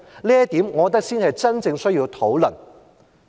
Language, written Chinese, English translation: Cantonese, 我認為這點才是真正需要討論的。, I think this is what we genuinely need to discuss